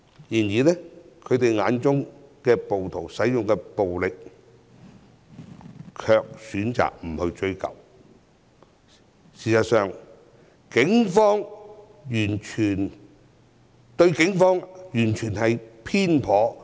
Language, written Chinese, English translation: Cantonese, 然而，他們卻選擇對暴徒使用的暴力不作追究，對警方的描述也很偏頗。, However the Members have chosen not to ascertain the responsibilities of the rioters in using violence; and their statements about the Police are very biased too